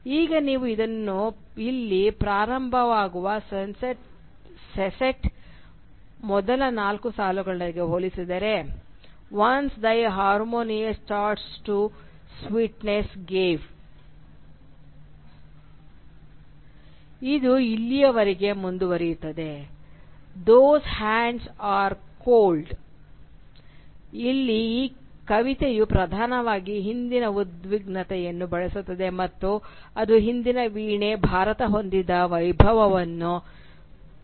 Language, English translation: Kannada, Now if you compare this to the first four lines of the sestet, which starts with here, “Once thy harmonious chords to sweetness gave”, and which continues till here, “Those hands are cold”, you will see that here the poem predominantly uses the past tense and it speaks of the glory that was associated with the harp/India of the past